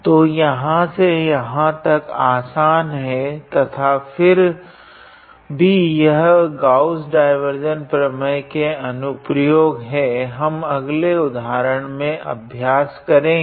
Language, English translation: Hindi, So, it is simple from here to here and yeah this is one of the applications of Gauss divergence theorem we will practice the next example now